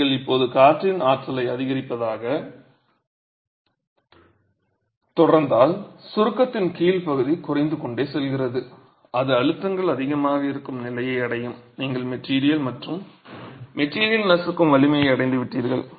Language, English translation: Tamil, If you now continue increasing the wind forces, the area under compression keeps reducing, it will reach a stage where the compressive stresses are so high that you have reached the crushing strength of the material and the material crushes